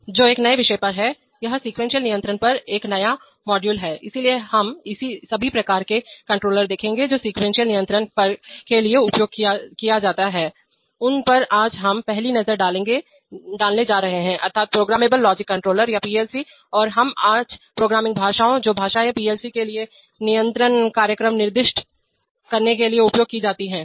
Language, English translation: Hindi, Which is on a new subject, it is a new module on sequence control, so we are going to have our first introduction today on sequence control, on the kinds of controllers that are used for sequence control, namely programmable logic controllers or PLCs and we are going to take a first look at the programming languages, the languages which are used to specify control programs for PLCs